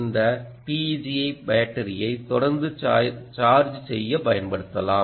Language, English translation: Tamil, this ah teg can be used for charging the battery continuously